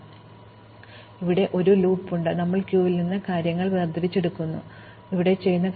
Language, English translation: Malayalam, And now, we have a loop here, where we keep extracting things from the queue and we do things here